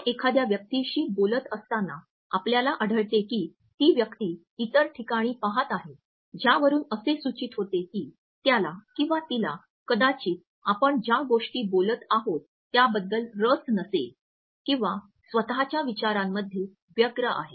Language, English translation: Marathi, While you are talking to a person and you find that the other person is looking at some other places which indicates that he or she might not be very interested in what you are saying or is busy in one’s own thoughts